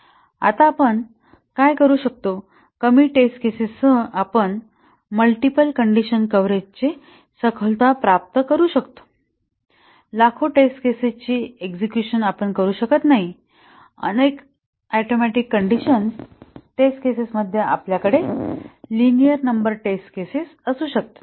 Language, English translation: Marathi, Now, what do we do, how can we achieve the thoroughness of multiple condition coverage with less number of test cases we cannot execute millions of test cases can we have a linear number of test cases in a number of atomic conditions exponential test cases in the number of atomic expressions is not practical